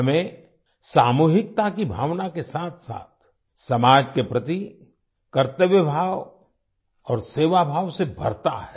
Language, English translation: Hindi, Along with the feeling of collectivity, it fills us with a sense of duty and service towards the society